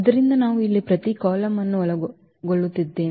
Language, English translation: Kannada, So, we are covering each column for instance here